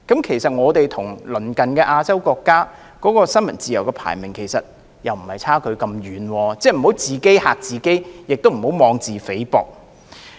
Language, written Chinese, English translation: Cantonese, 其實，香港與鄰近亞洲國家的新聞自由排名相差不遠，我們不應自己嚇自己，亦不應妄自菲薄。, In fact the gap between Hong Kong and our neighbouring Asian countries in respect of the press freedom ranking is not very large so there is no need for us to bother ourselves with self - created worries or belittle ourselves